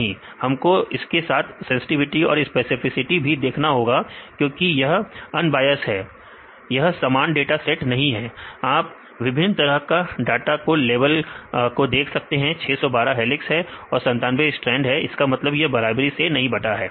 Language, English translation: Hindi, No, but we have to check the sensitivity and specificity because it is the unbiased; this is the not the same dataset, you can see the different types of levels of data the 612 for the helix and the 97 for the strand that is not equally distributed